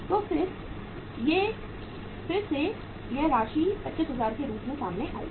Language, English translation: Hindi, So again this amount will come out as 25000